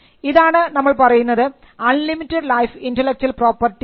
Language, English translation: Malayalam, So, this is what we call an unlimited life intellectual property